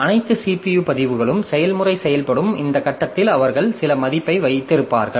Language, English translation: Tamil, So all the CPU registers they will be holding some value at this point of time when the process is executing